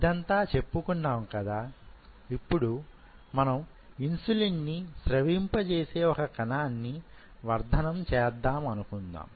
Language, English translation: Telugu, So, having said this say for example, we wanted to culture a cell which secretes insulin